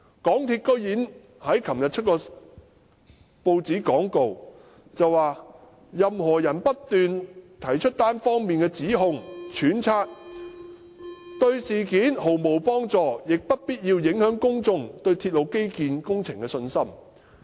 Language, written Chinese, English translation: Cantonese, 港鐵公司昨天竟然在報章刊登一段廣告，說若任何人"只不斷提出單方面的指控或揣測，對事件毫無幫助，亦不必要地影響公眾對鐵路基建工程的信心"。, MTRCL surprisingly published a statement in the newspapers yesterday claiming that making one - sided allegations or speculations repeatedly will not help resolve the issue in any way but will unnecessarily undermine public confidence in the railway infrastructure project